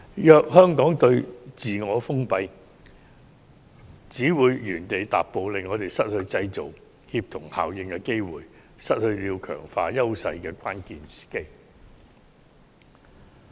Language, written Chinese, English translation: Cantonese, 如香港再自我封閉，只會原地踏步，令我們失去製造協同效應的機會，亦失去強化自身優勢的關鍵時機。, If we continue to isolate ourselves Hong Kong will go nowhere and lose the crucial opportunity to both generate synergy effects and strengthen our own advantages